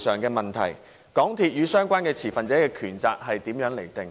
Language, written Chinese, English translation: Cantonese, 港鐵與相關持份者的權責是如何釐定的？, What is the delineation of right and responsibility between MTRCL and the stakeholders concerned?